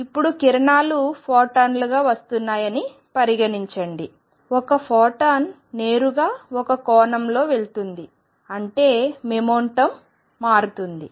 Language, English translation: Telugu, Now consider that rays are coming as photons, a photon coming straight go that an angle theta; that means, this moment changes